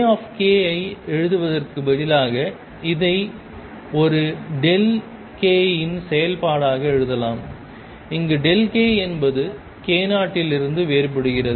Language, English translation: Tamil, Instead of writing A k I can write this as a function of a delta k, where delta k is difference from k 0